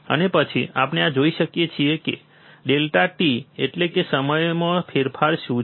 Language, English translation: Gujarati, And then we see this what is the change in time that is delta t